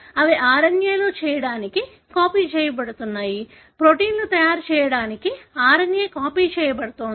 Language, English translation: Telugu, They are being copied to make RNA, the RNA is being copied to make proteins and so on